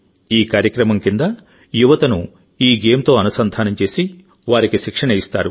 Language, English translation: Telugu, Under this program, youth are connected with this game and they are given training